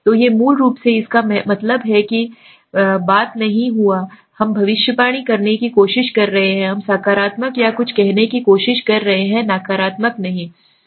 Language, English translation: Hindi, So these are basically that means the thing has not happened and we are trying to predict, we are trying to say something in the positive or negative right